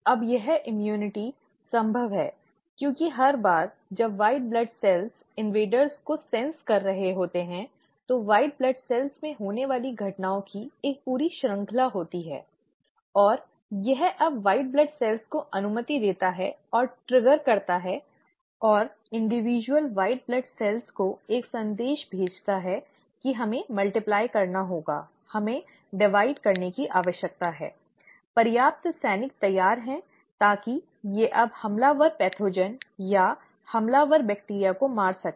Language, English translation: Hindi, Now this immunity is possible because every time the white blood cells are sensing the invaders, there is a whole series of events which are taking place in white blood cells, and it allows and triggers now the white blood cells and sends a message to the individual white blood cells that we need to multiply, we need to divide, have enough soldiers ready so that they now kill the invading pathogen or the invading bacteria